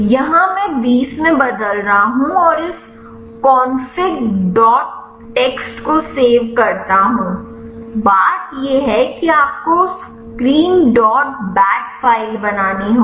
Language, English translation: Hindi, Here I am changing to 20 and save this config dot txt, thing you have to create screen dot bat file